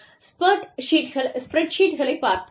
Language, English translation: Tamil, Let us look at, spreadsheets